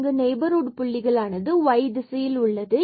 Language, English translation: Tamil, So, we are in only the neighborhoods points are in this direction of y